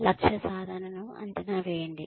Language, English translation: Telugu, Evaluate goal achievement